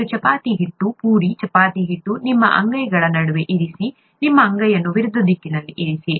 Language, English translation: Kannada, And place the chapati dough, puri chapati dough, in between the palms of your hands, place your palms in opposite direction